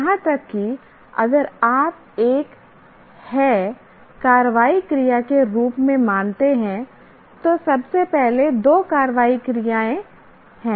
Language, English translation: Hindi, Even if you consider have as an action verb, first of all there are two action verbs